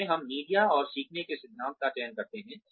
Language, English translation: Hindi, In which, we select the media and learning principles